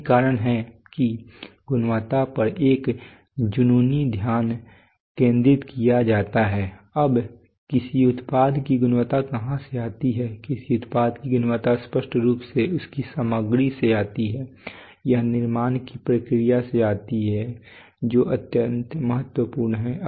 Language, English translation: Hindi, That this is the reason why there is an obsessive focus on quality now what is where does quality of a product come from quality of a product of obviously comes from its materials used it can also come from the process of manufacturing which is extremely important